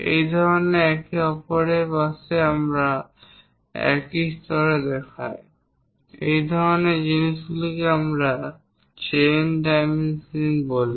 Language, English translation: Bengali, This kind of next to each other if we are showing at the same level at the same level such kind of things what we call chain dimensioning